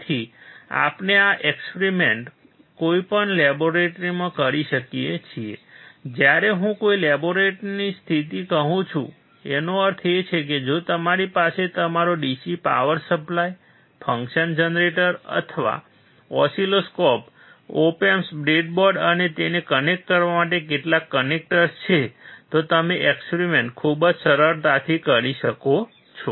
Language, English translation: Gujarati, So, we can perform this experiment in any laboratory condition, when I say any laboratory condition, it means if you have your DC power supply, a function generator or oscilloscope, op amp, breadboard, and some connectors to connect it, then you can perform the experiment very easily